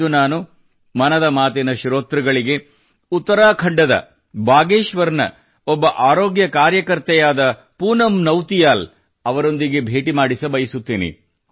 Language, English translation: Kannada, Today in Mann ki Baat, I want to introduce to the listeners, one such healthcare worker, Poonam Nautiyal ji from Bageshwar in Uttarakhand